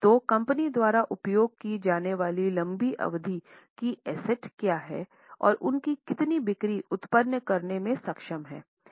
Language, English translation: Hindi, So, what are the long term assets used by the company and how much sales they are able to generate